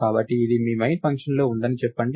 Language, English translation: Telugu, So, lets say this is inside your main function